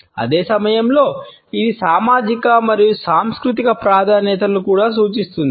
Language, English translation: Telugu, At the same time it also suggests societal and cultural preferences